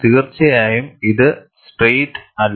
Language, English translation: Malayalam, Definitely, this is not straight